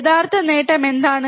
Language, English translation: Malayalam, What is the actual gain